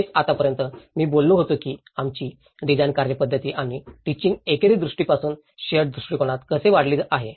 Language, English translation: Marathi, That is what till now, I was talking about how our design methodology and the teaching has been progressed from a singular vision to a shared vision